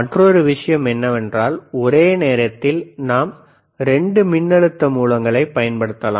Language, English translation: Tamil, Another thing is that, at the same time we can use 2 voltage sources, you see 2 voltages different voltage